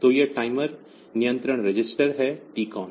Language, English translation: Hindi, So, this is the timer control register; so, TCON